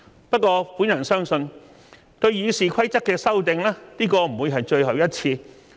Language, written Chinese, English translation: Cantonese, 不過，我相信對《議事規則》的修訂，這不會是最後一次。, However I believe that this will not be the last time to amend RoP